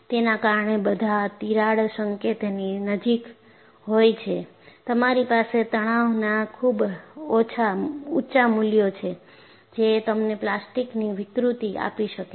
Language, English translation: Gujarati, Because we all know near the crack tip, you have very high values of stresses that can give you plastic deformation